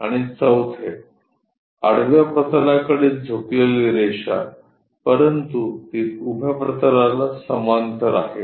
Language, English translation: Marathi, And the fourth one; a line inclined to horizontal plane, but it is parallel to vertical plane